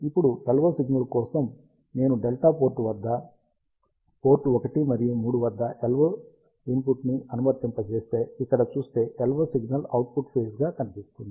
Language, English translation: Telugu, Now, for LO signal if you see here if I apply LO input at the delta port, at port one and three, the LO signal is actually appearing out of phase